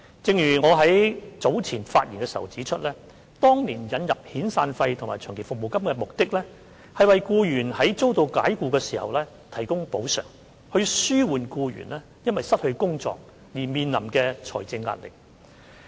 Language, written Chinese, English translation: Cantonese, 正如我在早前發言時指出，當年引入遣散費及長期服務金的目的，是為僱員在遭解僱時提供補償，以紓緩僱員因失去工作而面臨的財政壓力。, As I have pointed out in my speech earlier the introduction of severance payments and long service payments at that time aimed at providing compensation to employees dismissed so as to alleviate the financial burdens on such employees arising from job loss